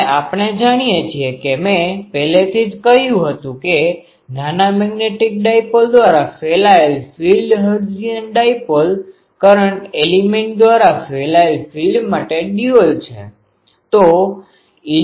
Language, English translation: Gujarati, And we know um I already said that the field radiated by a small magnetic dipole is dual to the field radiated by a hertzian dipole are current element